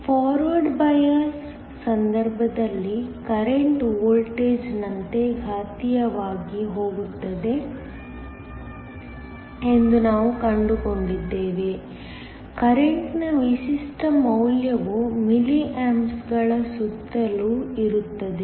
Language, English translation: Kannada, We found that, in the case of the Forward bias the current goes exponentially as the voltage, typical value of current is around milli amps